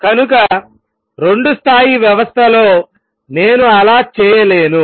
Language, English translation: Telugu, So, in two level system I cannot do that